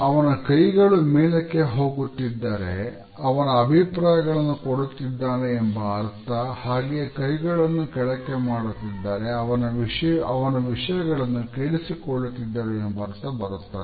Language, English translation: Kannada, When the hands are steepling up it shows that the person is giving his opinions and when the hands are steepling down, it means that the person is listening